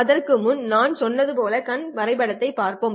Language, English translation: Tamil, Before that let us look at the eye diagram as I said